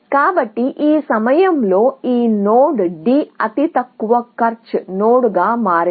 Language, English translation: Telugu, So, at this point, this node D has become the lowest cost node